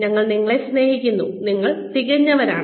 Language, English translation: Malayalam, We love you, you are perfect